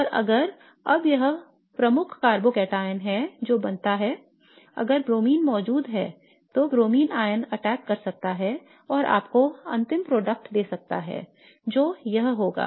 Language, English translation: Hindi, And now if this is the major carbogateon that is formed, if BR is present, BR minus can attack and give you the final product which would be this